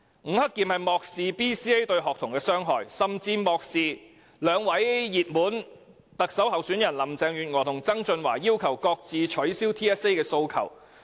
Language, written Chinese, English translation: Cantonese, 吳克儉漠視 BCA 對學童的傷害，亦無視兩位熱門特首候選人林鄭月娥和曾俊華要求取消 TSA 的訴求。, Mr Eddie NG has disregarded the harm of BCA on students and turned a blind eye to the request of the two odds - on favourites in the Chief Executive election Carrie LAM and John TSANG for scrapping TSA